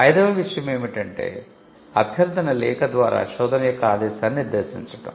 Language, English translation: Telugu, The fifth thing is to stipulate the mandate of the search through a request letter